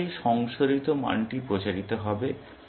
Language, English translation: Bengali, In this way, the revised value will propagate up